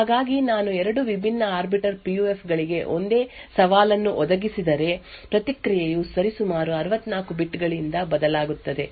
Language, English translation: Kannada, So this means that if I provide the same challenge to 2 different Arbiter PUFs, the response would vary by roughly 64 bits